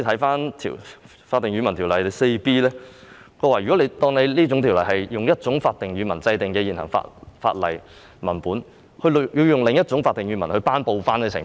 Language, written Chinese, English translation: Cantonese, 《法定語文條例》第 4B 條訂明，以一種法定語文制定的現行法例文本用另一種法定語文頒布的情況。, Section 4B of the Official Languages Ordinance provides for publication in an official language of the text of an existing law enacted in the other